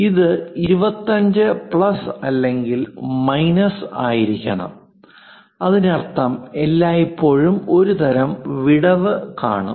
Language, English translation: Malayalam, This supposed to be 25 plus or minus; that means, there always with some kind of gap